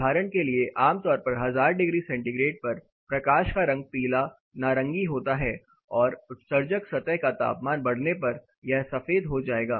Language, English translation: Hindi, For example, typically the 1000 degree centigrade the color of light will be yellow orange and it would to turn white as the emitting surface increases in temperature